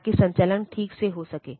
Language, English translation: Hindi, So, that the operations are done properly